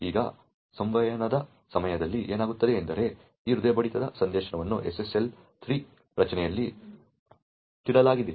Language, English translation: Kannada, Now, what happens during the communication is that this particular heartbeat message is wrapped in SSL 3 structure